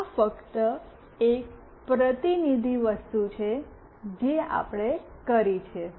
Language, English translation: Gujarati, This is just a representative thing that we have done it